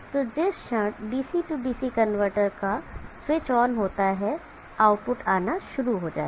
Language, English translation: Hindi, So the moment that switches of the DC DC converter switches on the output will start developing